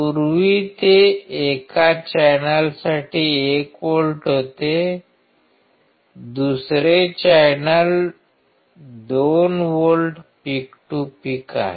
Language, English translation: Marathi, Earlier it was 1 volt for one channel, second channel is 2 volts peak to peak